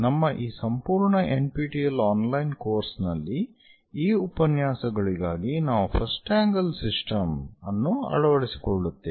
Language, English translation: Kannada, In our entire course, for these NPTEL online lectures, we go with first angle system